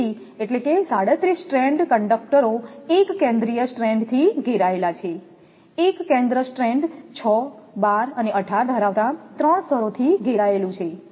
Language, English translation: Gujarati, So, that means, 37 stranded conductors has a central strand surrounded by, one center strand surrounded by 3 layers containing 6, 12 and 18